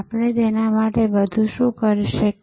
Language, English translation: Gujarati, What more can we do for them